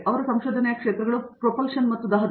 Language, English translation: Kannada, His areas of research are Propulsion and Combustion